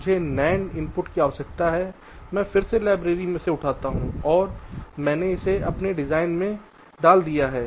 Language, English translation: Hindi, i need for input nand, i again pick up from the library, i put it in my design